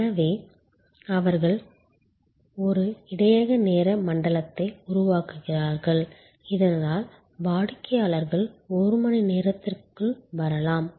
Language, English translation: Tamil, So, they create a buffer time zone, so that customer's can arrive over a span of one hour